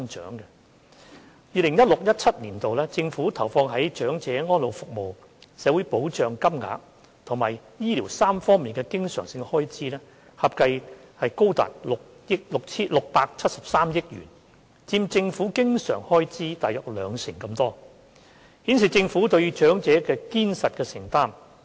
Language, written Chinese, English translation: Cantonese, 政府在 2016-2017 年度投放在長者安老服務、社會保障金額及醫療3方面的經常開支合計高達673億元，佔政府經常開支約兩成，顯示政府對長者的堅實承擔。, In 2016 - 2017 the Governments recurrent expenditure on elderly services social security and health care totals 67.3 billion accounting for about 20 % of its recurrent expenditure so it shows how firmly committed the Government is to the elderly